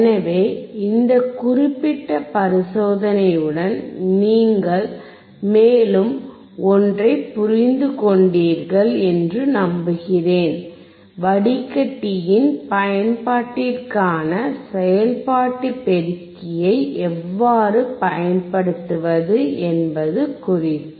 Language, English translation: Tamil, So, with this particular experiment, I hope that you understood something further regarding how to apply the operational amplifier for the application of a filter